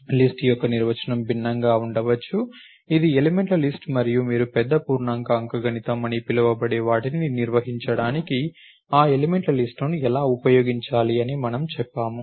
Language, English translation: Telugu, The definition of list can be different, I can it is a list of elements and how do you use that list of elements to perform what is called big integer arithmetic is what we said